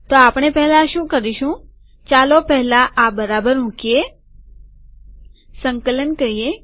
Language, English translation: Gujarati, So what we should do is, let us first, put this properly, compile this